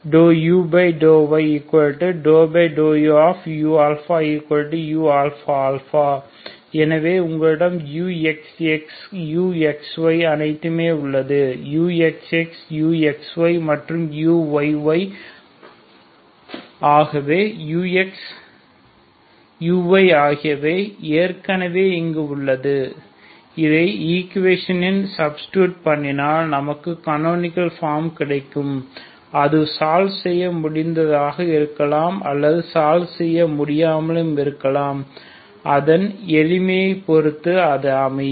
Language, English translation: Tamil, So you have got everything, U X X, U X Y, ok U X X , U X Y, and U Y Y so U X ,U Y are already here so if you substitute into the equation then you get the canonical form that maybe either solvable or not depending on its simplicity